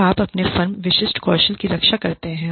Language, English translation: Hindi, So, you protect your firm specific skills